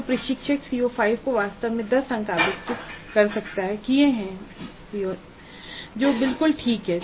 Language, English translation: Hindi, So the instructor has allocated actually 10 marks to CO5 that is perfectly alright